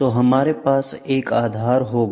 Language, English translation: Hindi, So, we will have a base, ok